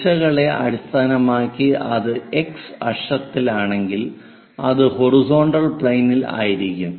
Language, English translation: Malayalam, Based on the directions if it is on x axis horizontal plane, if it is on y axis vertical plane we will define